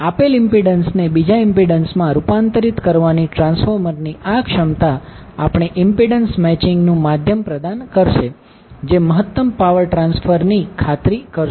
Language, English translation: Gujarati, So, now, this ability of the transformer to transform a given impedance into another impedance it will provide us means of impedance matching which will ensure the maximum power transfer